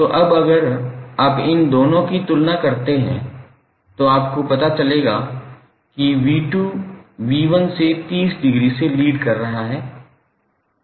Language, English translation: Hindi, So now if you compare these two you will come to know that V2 is leading by 30 degree